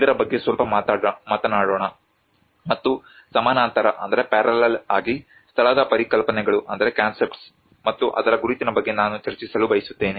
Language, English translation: Kannada, Let us talk a little bit of the in parallel I would like to discuss about the concepts of place and its identity